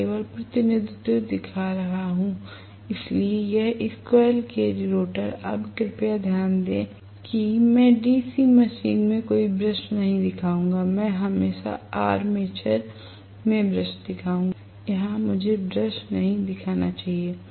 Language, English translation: Hindi, So, representation, I am just showing the representation, so this squirrel cage rotor, now please note I will not show any brushes in DC machine I will always show brushes in the armature, here I should not show a brush